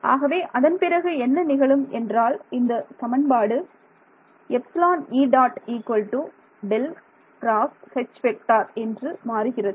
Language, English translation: Tamil, What all do you need to know from this equation